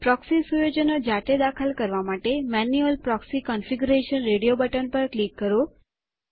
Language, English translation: Gujarati, To enter the proxy settings manually, click on Manual proxy configuration radio button